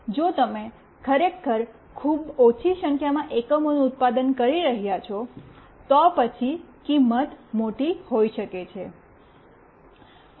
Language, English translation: Gujarati, If you are really manufacturing a very small number of units, then the cost might be large